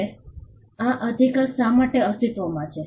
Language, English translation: Gujarati, Now, why does this right exist